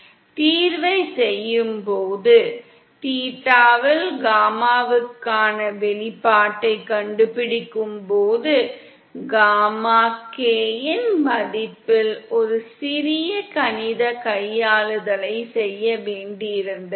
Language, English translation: Tamil, Then while doing the solution, while finding out the expression for gamma in theta we had to do a small mathematical manipulation on the value of gamma k